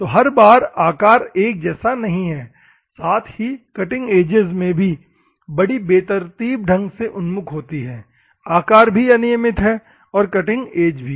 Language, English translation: Hindi, So, the shape is not perfect at the same time; cutting edges also randomly oriented shape is random as well as cutting edge is also random